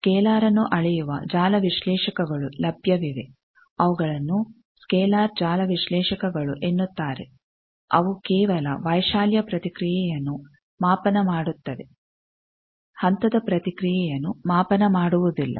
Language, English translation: Kannada, Network analyzers are available who does scalar, who are called scalar network analyzer they do not measure phase response they measure only amplitude response